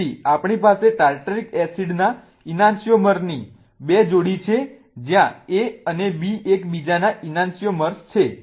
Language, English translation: Gujarati, So, we have two pairs of an an anhyomers of Tartaric acid, right, A and B are an an an anchoomers of each other